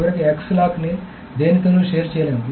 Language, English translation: Telugu, And finally, X lock cannot be shared with anything